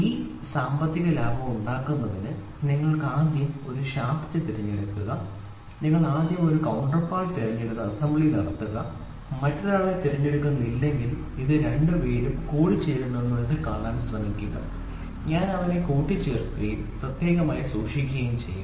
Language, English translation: Malayalam, And in order to make this economical what you do is you first pick a shaft you first pick a counterpart do the assembly and try to see whether these two fellows are mating if not pick another one and I try to assemble them and keep it separate